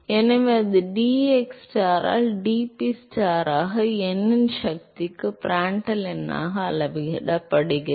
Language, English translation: Tamil, So, that turns out that it is scales as dPstar by dxstar into Prandtl number to the power of n